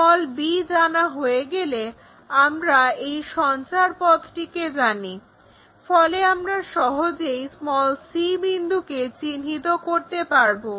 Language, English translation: Bengali, Once b is known we know this locus, so c point we can easily note it down